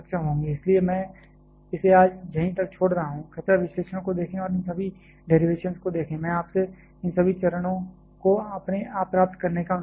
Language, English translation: Hindi, So, I am leaving this up to today please go through the analysis and go through all this derivations ,I would request you to derive all this steps on your own